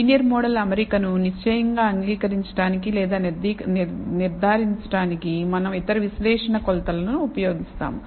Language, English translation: Telugu, We will use other diagnostic measure to conclusively accept or reject a linear model fit